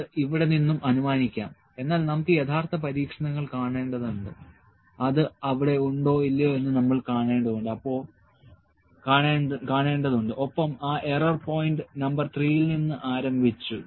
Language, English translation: Malayalam, So, it may be inferred from here I am just saying maybe it is not for sure, but we have to see the actual experiments and we have to see whether that is there or not that and error started from here from point number 3